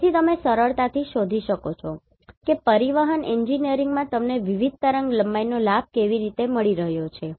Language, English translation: Gujarati, So, you can easily find out how you are getting the benefit of different wavelengths in Transportation Engineering